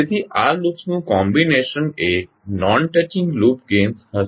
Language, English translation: Gujarati, So the combination of these loops will be the non touching loops gains